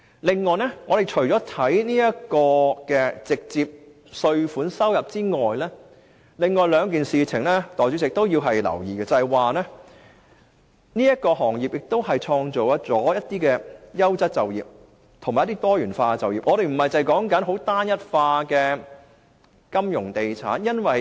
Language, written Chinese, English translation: Cantonese, 另外，除了直接稅收外，代理主席，另外值得留意的是這行業會創造一些優質及多元化的就業職位，令香港不僅只有單一化的金融地產職位。, Moreover apart from direct tax revenue Deputy President what is worth noting is this industry will create a number of high - quality and diversified job opportunities so that we will only have jobs in the financial and real estate industries